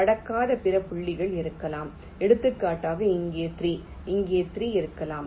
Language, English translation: Tamil, also there can be other points which do not cross, like, for example, there can be a three here and a three here